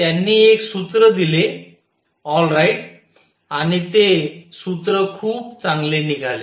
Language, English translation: Marathi, So, he gave a formula all right, and that formula turned out to be very good